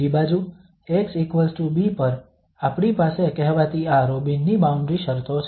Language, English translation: Gujarati, On the other hand, at x equal to b we have the so called this Robin's boundary conditions